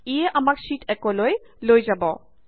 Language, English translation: Assamese, This takes us back to Sheet 1